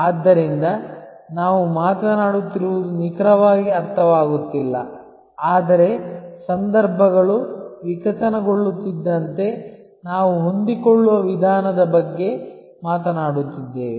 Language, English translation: Kannada, So, it is not exactly meandering that we are talking about, but we are talking about a flexible approach as we as situations evolves